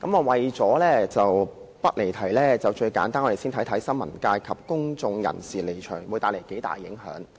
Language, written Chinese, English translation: Cantonese, 為了不離題，最簡單的做法是，我們先看看新聞界及公眾人士離場會帶來多大影響。, The simplest way to avoid digressing from the subject is to consider how much impact the withdrawal of members of the press and of the public will bring